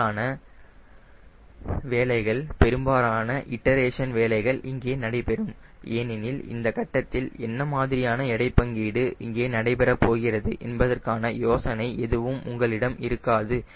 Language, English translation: Tamil, majority of the work, majority of the iteration works out here because at this stage you do not have idea about what sort of weight distribution will happen